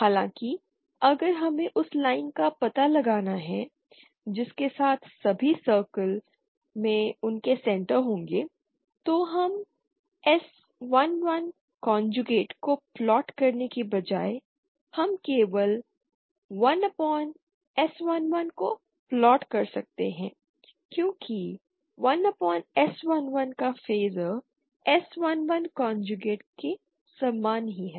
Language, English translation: Hindi, However if we have to locate the line along which all the circles will have their centers then we can instead of plotting S 1 1 conjugate we simply plot 1 upon S 1 1 because 1 upon S11 has the same phaser as S 11 conjugate